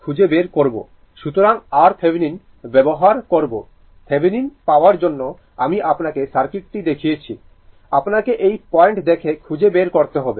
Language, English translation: Bengali, So, R Thevenin means your for getting Thevenin I showed you the circuit, this is for looking from this point you have to find out